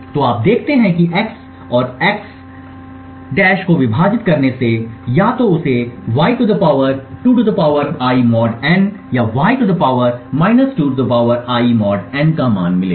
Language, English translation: Hindi, So, you see that dividing x and x~ would either give him a value of (y ^ (2 ^ I)) mod n or (y ^ ( 2 ^ I)) mod n